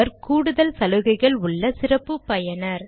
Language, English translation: Tamil, He is a special user with extra privileges